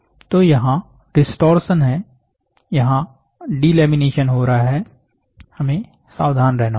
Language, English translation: Hindi, So, there is a distortion, there is a delamination happening, be very careful